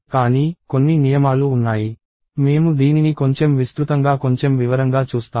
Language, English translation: Telugu, But, there are certain rules; we will see this in a little more detail in a little wide